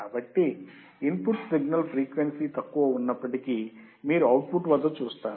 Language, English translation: Telugu, So, whatever signal is there in the input with lower frequency,you will see at the output right